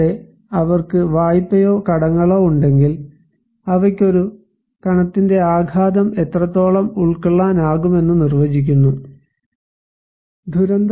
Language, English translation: Malayalam, Also, if they have loan or debts that also define that what extent they can absorb the shock of a particle, a disaster